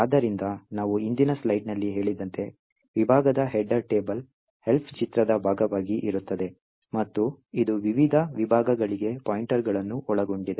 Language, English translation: Kannada, So, as we said in the previous slide the section header table is present as part of the Elf image and it contains pointers to the various sections